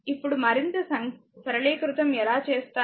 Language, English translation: Telugu, Now for further simplification how will do